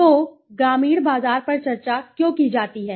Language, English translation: Hindi, So, why is rural market to be discussed